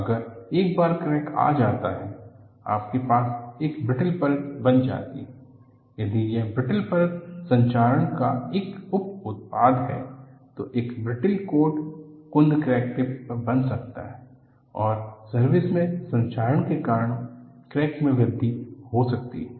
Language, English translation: Hindi, Once, you have a crack, you can have a brittle film formed; if the brittle film is a by product of corrosion, then a brittle coat may form at the blunted crack tip, and the crack may grow in service, due to corrosion